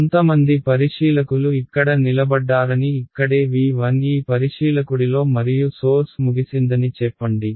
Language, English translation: Telugu, So, let us say that there is some observer standing over here in v 1 this observer and the source was over here right